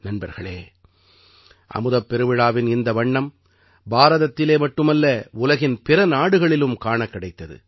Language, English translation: Tamil, Friends, these colors of the Amrit Mahotsav were seen not only in India, but also in other countries of the world